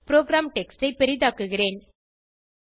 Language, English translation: Tamil, Let me zoom into the program text